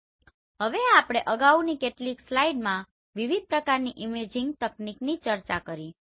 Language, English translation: Gujarati, So now as we discussed in the previous few slides different types of imaging technique